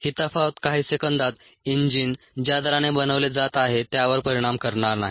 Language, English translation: Marathi, this variation in a matter of seconds is not going to effect the rate at which the engine is being made